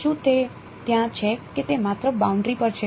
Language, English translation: Gujarati, Is it there or it is only on the boundary